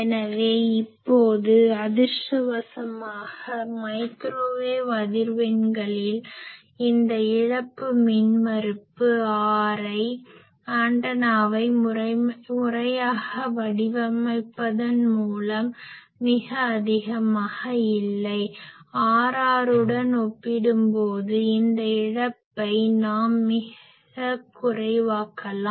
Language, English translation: Tamil, So, now fortunately at microwave frequencies this loss resistance R l, this is not very high by proper designing of antenna, we can make this loss quite low compared to R r